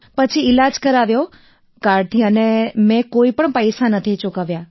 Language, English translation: Gujarati, Then I got the treatment done by card, and I did not spend any money